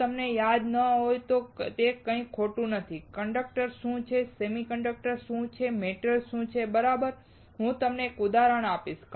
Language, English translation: Gujarati, It is nothing wrong if you do not recall; what is conductor, what is semiconductor, what is metal; all right, I will give you an example